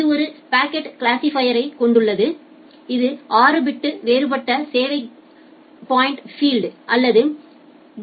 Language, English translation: Tamil, It has a packet classifier which uses a six bit differentiated service coat point field or the DSCP field